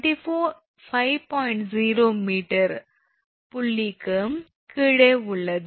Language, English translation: Tamil, 0 meters that is below point B